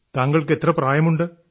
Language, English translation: Malayalam, And how old are you